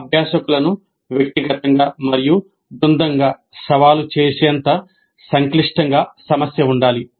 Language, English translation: Telugu, The problem should be complex enough to challenge the learners individually and as a team